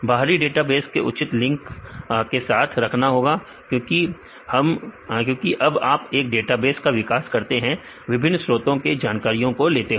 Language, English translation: Hindi, Then you have to prove proper links to the external databases because when you develop a database you get the information from the different resources